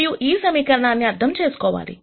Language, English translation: Telugu, Now let us interpret this equation